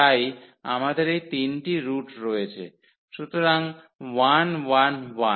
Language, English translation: Bengali, So, we have these 3 roots; so, 1 1 1